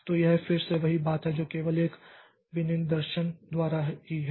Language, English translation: Hindi, So, this is the as again the same thing that is this is only by only a specification